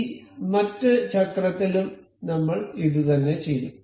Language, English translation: Malayalam, I will do the same thing with this other wheel